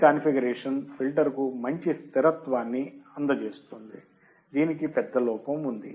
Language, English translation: Telugu, While this configuration provides a good stability to the filter, it has a major drawback